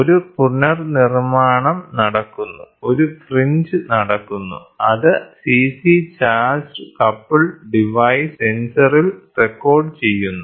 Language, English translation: Malayalam, So, then there is a reconstruction happening, a fringe is happening and that is recorded at CC charge coupled device sensor it is getting done